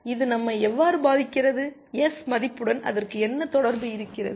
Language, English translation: Tamil, How does it influence us, what relation does it have with value of S